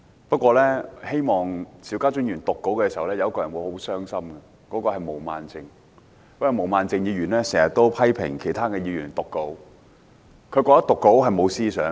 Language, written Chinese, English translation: Cantonese, 不過，當邵家臻議員讀稿時，有一個人會很傷心，就是毛孟靜議員，因為她經常批評其他議員讀稿，她覺得讀稿是無思想。, However someone would be very upset as Mr SHIU Ka - chun read from the script and that is Ms Claudio MO . She has always criticized Members for reading from a script as she thinks it is mindless